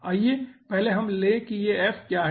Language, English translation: Hindi, first let us take what is f